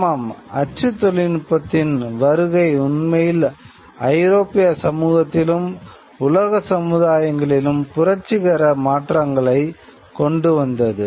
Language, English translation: Tamil, Yes, the coming of print did bring about revolutionary changes within European society and world society really